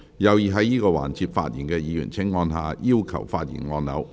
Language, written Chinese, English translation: Cantonese, 有意在這個環節發言的議員請按下"要求發言"按鈕。, Members who wish to speak in this session will please press the Request to speak button . been so for over a century